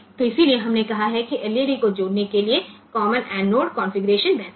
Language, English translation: Hindi, So, that is why we said that the common anode configuration is better for connecting the LEDs